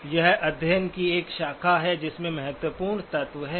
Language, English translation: Hindi, So that is a branch of study that has important elements by itself